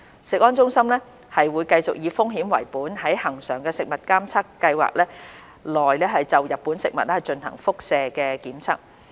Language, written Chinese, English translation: Cantonese, 食安中心會繼續以風險為本在恆常食物監測計劃內就日本食品進行輻射檢測。, CFS will continue to adopt a risk - based principle in conducting radiation tests on Japanese food products under its routine Food Surveillance Programme